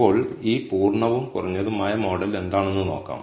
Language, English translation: Malayalam, Now, let us see what these full and reduced model are